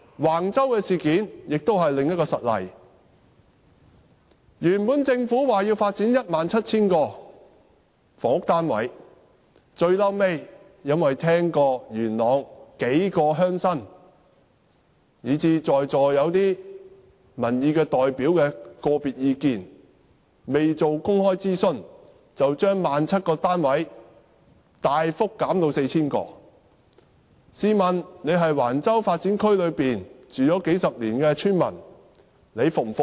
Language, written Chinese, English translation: Cantonese, 橫洲事件是另一個實例，政府本來說要發展 17,000 個房屋單位，後來聽到數位元朗鄉親及在席一些民意代表的個別意見後，未經公開諮詢便從 17,000 個單位大幅減至 4,000 個，試問在橫洲發展區居住了數十年的村民會否服氣？, The Wang Chau incident is another real example . Originally the Government said that 17 000 housing units would be built . Yet after seeking the individual views of several rural leaders of Yuen Long and some public opinion representatives now present in the Chamber the number of units was without undergoing public consultation reduced drastically from 17 000 to 4 000